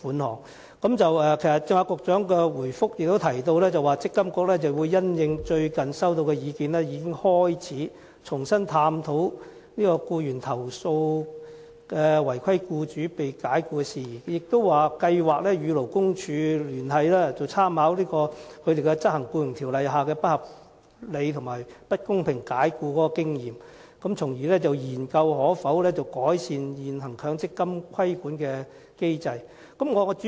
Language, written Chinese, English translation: Cantonese, 局長剛才在補充答覆也提到，積金局會因應最近接獲的意見，重新探討僱員被違規僱主解僱的投訴事宜，並計劃與勞工處合作，參考針對不合理和不公平解僱而執行《僱傭條例》的經驗，研究改善現行強積金規管機制的可行性。, The Secretary has also mentioned in his supplementary reply that MPFA would in light of the recent comments received revisit the issue of employees being dismissed after lodging complaints against their non - compliant employers and would work with the Labour Department to explore the feasibility of refining the existing MPF regulatory regime drawing reference to the departments experience in enforcing the Employment Ordinance with respect to unreasonable and unfair dismissal